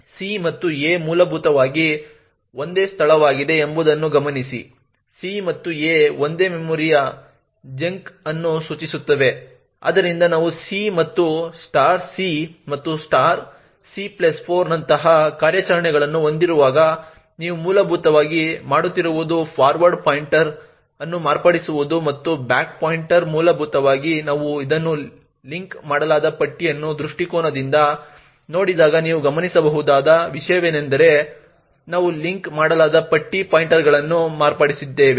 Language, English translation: Kannada, Note that c and a are essentially the same location, c and a are pointing to the same memory chunk therefore when we have operations like c and *c and *(c+4) what you are essentially doing is modifying the forward pointer and the back pointer essentially when we look at this from a linked list perspective what you would notice is that we are modifying the linked list pointers